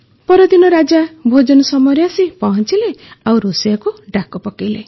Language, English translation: Odia, Then next day the king came for lunch and called for the cook